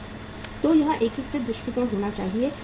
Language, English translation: Hindi, So it should be integrated approach